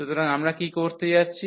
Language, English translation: Bengali, So, what we are going to have